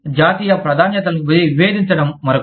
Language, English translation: Telugu, Differing national priorities is another one